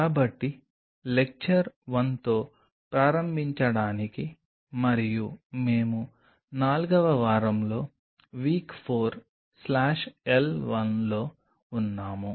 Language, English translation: Telugu, So, to start off with Lecture 1 and we are into week 4 W 4 slash L 1